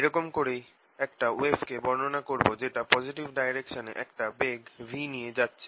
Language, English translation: Bengali, so this is i will call description of a wave propagating with speed v along the positive x axis